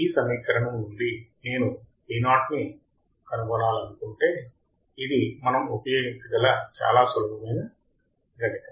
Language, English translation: Telugu, If I want to find Vo from this equation, this is very simple mathematics that we can use